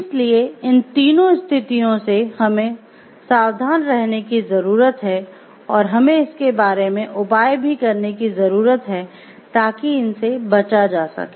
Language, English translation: Hindi, So, if these three thing we need to be careful about these situations and we need to take remedial measures about it so that they can be avoided